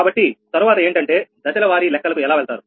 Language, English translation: Telugu, so next is that how will go for step by step calculation